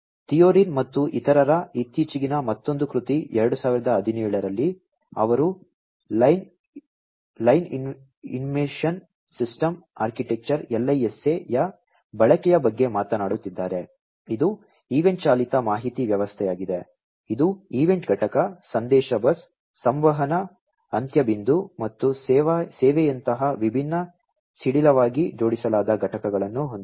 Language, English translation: Kannada, in 2017, where they are talking about the use of Line Information System Architecture LISA, which is an event driven information system, which has different loosely coupled components, such as the event component, the message bus, the communication endpoint, and the service endpoint